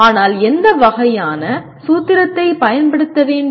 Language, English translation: Tamil, But what kind of formula to be used